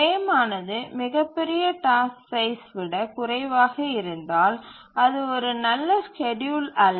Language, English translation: Tamil, The frame if it becomes lower than the largest task size then that's not a good schedule